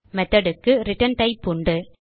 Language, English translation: Tamil, Whereas Method has a return type